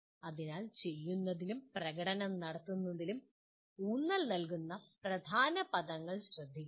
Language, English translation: Malayalam, So please note that the key words the emphasis is on doing and performing